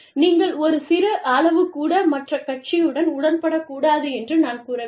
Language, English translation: Tamil, I am not saying, that you should not agree, with the other party